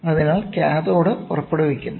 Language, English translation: Malayalam, So, cathode emits